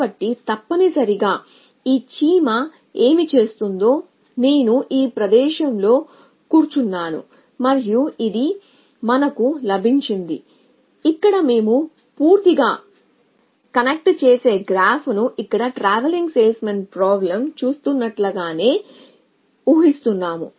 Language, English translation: Telugu, So, essentially what this ants it doing is sitting at this location i and it is got is we a assuming a completely connecting graph here the it as we do in the TSP so it can move to any other city